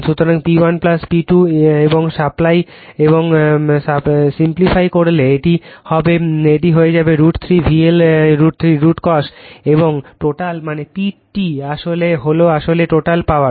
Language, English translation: Bengali, So, P 1 plus P 2 and simplified , you will see it will become root 3 V L I L cos theta , and total that means, P T is P T actually is a total power